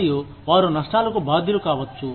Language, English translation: Telugu, And, they may be liable to risks